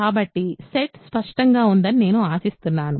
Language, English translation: Telugu, So, I hope the set is clear